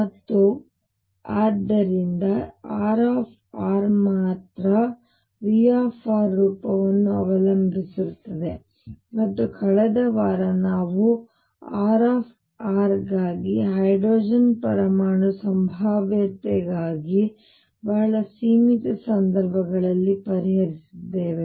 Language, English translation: Kannada, And therefore, only R r depends on the form of v r, and last week we had solved for R r for very limited cases for the hydrogen atom potential